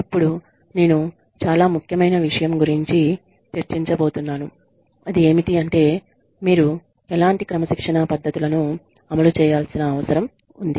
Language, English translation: Telugu, And now, i am going to discuss, something very, very, important, which is, why should you even need to implement, any kind of disciplining techniques